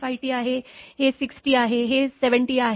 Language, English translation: Marathi, 5 T this is 6 T, this is 7 T